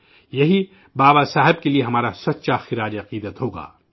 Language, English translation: Urdu, This shall be our true tribute to Baba Saheb